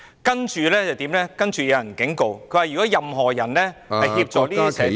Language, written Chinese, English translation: Cantonese, 有人其後警告，如果任何人協助這些社團......, Someone later warned that if any person assisted these societies